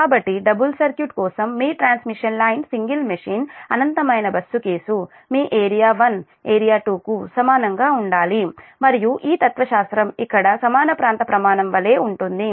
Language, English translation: Telugu, so this is the philosophy for your, do, your, your, for a double circuit, your transmission line, single machine, infinite bus case, that area one must be equal to area two, and this philosophy, same as equal area criterion, here also equal area criterion